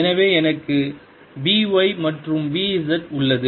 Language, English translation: Tamil, so i have b, y and b z